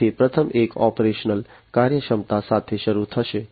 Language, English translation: Gujarati, So, the first one will start with is operational efficiency